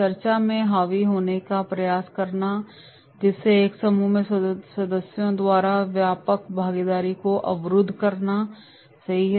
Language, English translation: Hindi, Attempting to dominate the discussion thereby blocking wider participation by members of a group, right